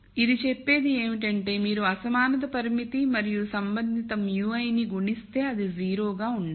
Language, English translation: Telugu, So, what this says is if you take a product of the inequality constraint and the corresponding mu i then that has to be 0